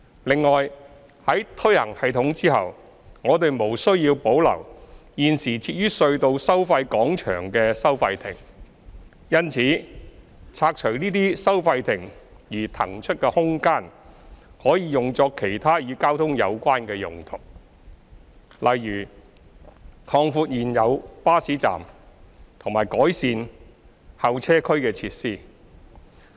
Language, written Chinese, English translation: Cantonese, 另外，在推行系統後，我們無需要保留現時設於隧道收費廣場的收費亭。因此，拆除這些收費亭而騰出的空間，可用作其他與交通有關的用途，例如擴闊現有巴士站及改善候車區設施。, Moreover there is no need to retain the toll booths at toll plazas after FFTS is implemented and their demolition will free up space which can be used for other transport - related purposes such as enlargement of the existing bus stops and enhancement of the facilities at the waiting areas